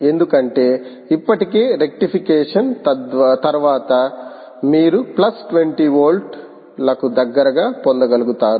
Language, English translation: Telugu, because already, just after rectification, you are able to get close to plus twenty volts